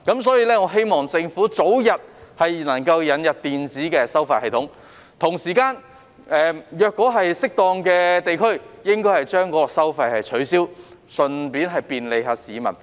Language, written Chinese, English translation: Cantonese, 所以，我希望政府能夠早日引入電子收費系統，同時應該適當地取消某些地區的收費，順便便利市民。, For this reason I hope that the Government can expeditiously introduce an electronic toll collection system and abolish toll collection in certain areas for the convenience of the public